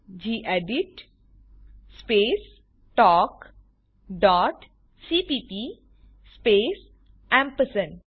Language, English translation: Gujarati, gedit space talk dot .cpp space ampersand sign